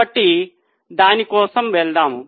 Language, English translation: Telugu, So, let us go for it